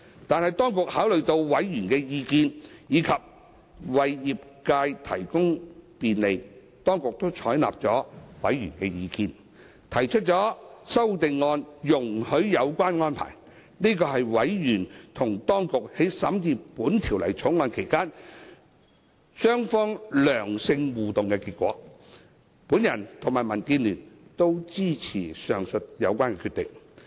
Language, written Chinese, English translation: Cantonese, 但是，當局考慮到委員的意見，以及為業界提供便利，當局採納了法案委員會的意見，提出容許有關安排的修正案，這是委員與當局在審議《條例草案》期間良性互動的結果，我與民主建港協進聯盟均支持上述決定。, However having regard to the views raised by members and with a view to bringing convenience to the sector the authorities have taken the views of the Bills Committee on board by proposing CSAs to facilitate such arrangements . This is an outcome of the positive interaction between members and the authorities in the deliberation of the Bill . The Democratic Alliance for the Betterment and Progress of Hong Kong DAB and I both support the decision